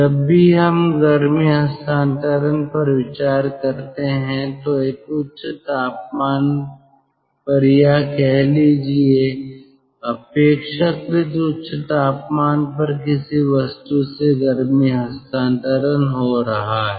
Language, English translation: Hindi, so whenever we are considering heat transfer, heat transfer is taking place from a body at a high temperature, relatively higher temperature